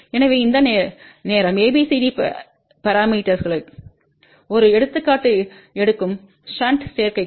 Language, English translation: Tamil, So, this time will take an example of ABCD parameters for Shunt Admittance